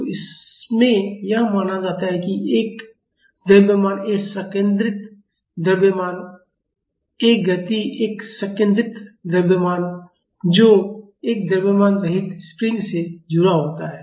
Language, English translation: Hindi, So, in this; it is assumed that a mass a concentrated mass this moving is a concentrated mass is attached to a massless spring